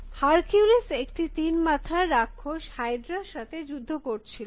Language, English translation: Bengali, So, Hercules fighting this many headed monster called hydra